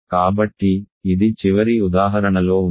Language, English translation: Telugu, So, this is as in the last example ok